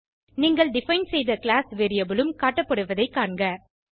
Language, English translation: Tamil, You will notice the class variable you defined, also show up